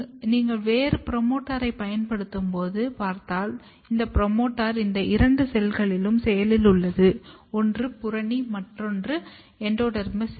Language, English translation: Tamil, And if you look here when you use a different promoter, this promoter is active in this two cells, one is the cortex and endodermis cells